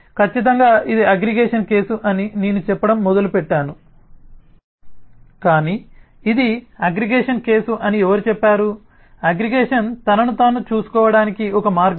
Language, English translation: Telugu, certainly i started saying that this is a case of aggregation, but who said this has to be a case of aggregation